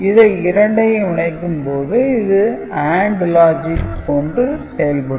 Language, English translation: Tamil, So, it will be giving an AND logic